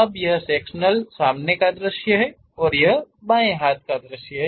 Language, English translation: Hindi, Now, this is the sectional front view and this is left hand side view